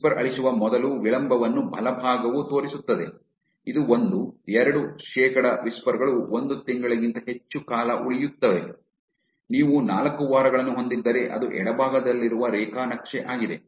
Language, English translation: Kannada, The right side shows you delay before whisper is getting deleted, that this one, 2 percent of the whispers stay for more than a month, if you see it had a four weeks that is the graph from the left